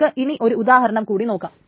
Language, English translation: Malayalam, Okay, let us now do some examples